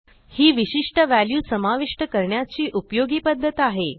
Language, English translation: Marathi, So yes, this is quite useful way of adding a specific value here